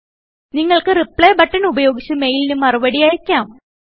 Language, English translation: Malayalam, You can reply to this mail, using Reply button